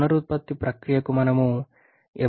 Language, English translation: Telugu, When we can go for regeneration process